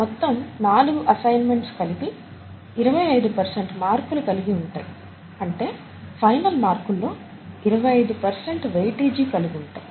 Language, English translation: Telugu, All the four assignments together would carry twenty five percent marks, twenty five percent weightage toward the final marks